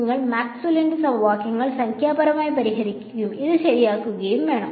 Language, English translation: Malayalam, You have to solve Maxwell’s equations numerically and get this ok